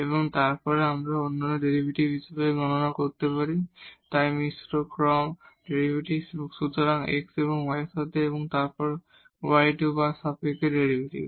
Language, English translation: Bengali, And then we need to compute the other derivatives as well, so the mixed order derivative; so, with respect to x and y and then also the derivative with respect to y 2 times